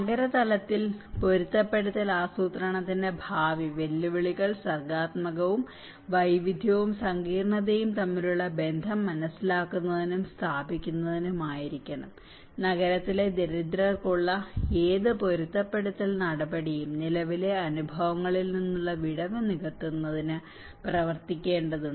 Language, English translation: Malayalam, The future challenges of adaptation planning in city level needs to be creative, understanding and establishing connections between diversity and complexity, any adaptation measure for the urban poor has to work towards bridging the gap from present experiences